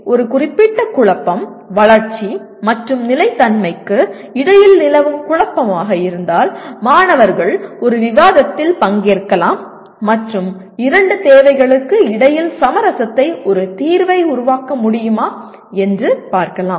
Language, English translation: Tamil, So if a particular, this dilemma that exist between development and sustainability the students can participate in a debate and see whether they can come with a solution that creates the best compromise between the two requirements